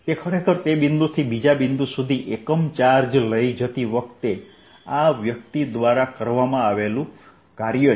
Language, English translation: Gujarati, r's is actually the work done in a person taking a unit charge from that point to the next point